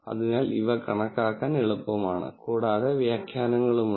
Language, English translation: Malayalam, So, these are easy to calculate and there are interpretations for this